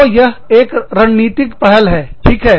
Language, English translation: Hindi, So, that is a strategic initiative